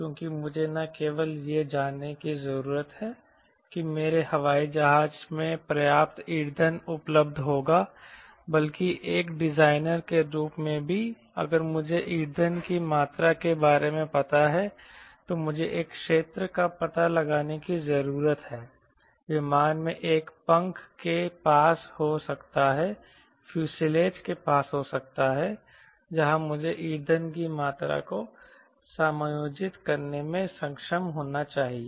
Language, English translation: Hindi, because i need to not only know that my airplane will have sufficient fuel available, but also, as a designer, if i know the amount of fuel, i need to locate an area, a volume in an aircraft maybe near wing, maybe the fuselage where i should be able to accommodate that amount of fuel